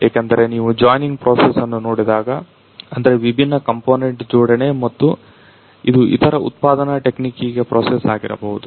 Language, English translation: Kannada, Because when you see the joining process, it means the assembly of the different components and which might be a process to the other you know the manufacturing technique